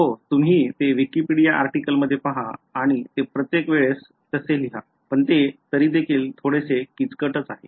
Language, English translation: Marathi, Yeah, you just look up the Wikipedia article whatever and remember write it down each time, but I mean this still looks complicated